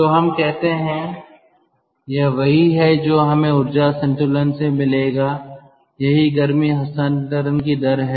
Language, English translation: Hindi, so lets say this is what we will get from energy balance: q dot, that is the rate of heat transfer